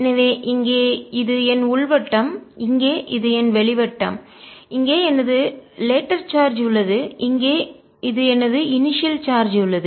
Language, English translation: Tamil, so here is my inner circle, here is my outer circle, here is my charge later, here is my charge initially